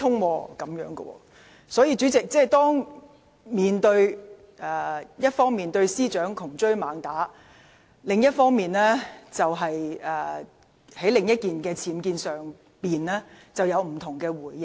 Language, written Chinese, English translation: Cantonese, 反對派議員一方面對司長窮追猛打，在另一宗僭建事件上卻有不同的回應。, On the one hand opposition Members have been in hot pursuit of the Secretary for Justice contrary to their reaction to the other UBWs case